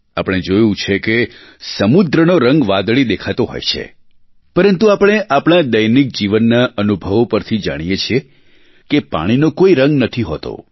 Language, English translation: Gujarati, All of us have seen that the sea appears blue, but we know from routine life experiences that water has no colour at all